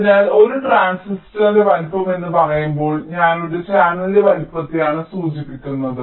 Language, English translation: Malayalam, so when i say the size of a transistor means i refer to the size of a channel